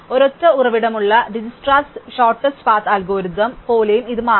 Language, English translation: Malayalam, It will also turn out to be very similar to DijkstraÕs shortest path algorithm with a single source